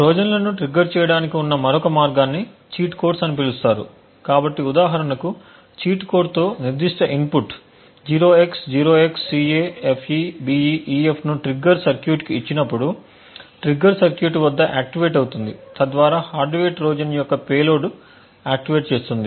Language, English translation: Telugu, Another way to trigger Trojans is by something known as cheat codes so with a cheat code the specific input for example 0x0XCAFEBEEF when given to the trigger circuit would activate at the trigger circuit which in turn would then activate the payload of the hardware Trojan